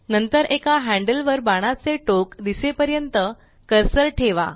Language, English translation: Marathi, Next, place the cursor on one of the handles till arrowheads is visible